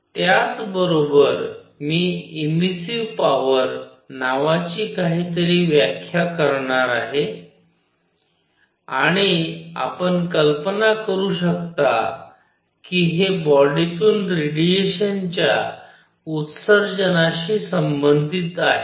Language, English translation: Marathi, Simultaneously, I am going to define something called the emissive power and as you can well imagine, this is related to the emission of radiation from a body